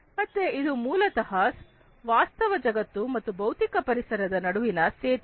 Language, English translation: Kannada, So, it is basically the bridging between the virtual world and the physical environment